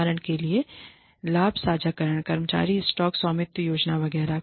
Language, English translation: Hindi, For example, profit sharing, employee stock ownership plans etcetera